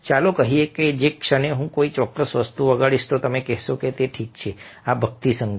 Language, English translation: Gujarati, ok, lets say that the moment i play certain thing, you will say that, ok, this happens to be devotional music